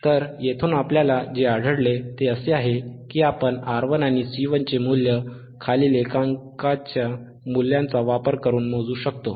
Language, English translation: Marathi, So, from here what we find is that we can measure the value of R 11, and we can measure the value of R and C 1, ggiven this following this following units values, alright